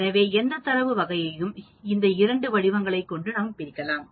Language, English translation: Tamil, So, any data type can be divided into these two forms